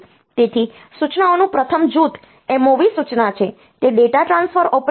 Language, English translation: Gujarati, So, first group of instruction is the MOV instruction is a data transfer operation